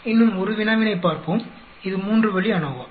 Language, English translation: Tamil, We will look at one more problem, this is a three way ANOVA